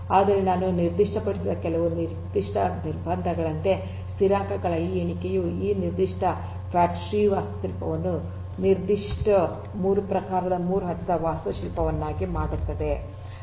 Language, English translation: Kannada, But, there are certain specific constraints that I just mentioned this enumeration of constants makes this particular fat tree architecture a specific 3 type 3 tier architecture